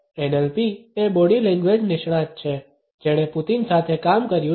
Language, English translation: Gujarati, NLP is the body language expert who is worked with Putin